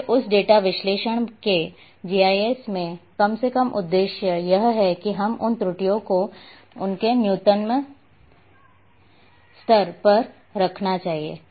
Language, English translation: Hindi, So, at least the aim in GIS of that data analysis that we should contain those errors to it’s their minimum level